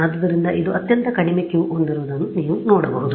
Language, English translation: Kannada, So, this is you can see this had the lowest Q right